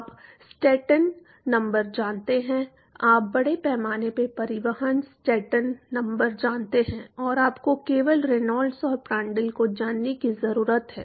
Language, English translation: Hindi, You know the Stanton number, you know the mass transport Stanton number and all you need to know is Reynolds and Prandtl you are done